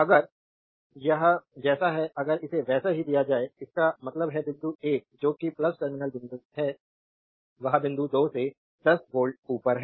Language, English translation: Hindi, If it is like if it is given like this; that means, point 1 that is a plus terminal point 1 is 10 volt above point 2